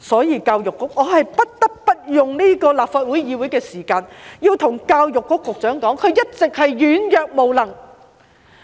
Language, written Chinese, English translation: Cantonese, 因此，我不得不用立法會會議的時間對教育局局長說，他一直是軟弱無能。, Hence I cannot but use the time at the Legislative Council to tell the Secretary for Education that he has been weak and incapable all along